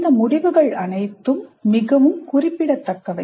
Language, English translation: Tamil, Now all these outcomes also are becoming very significant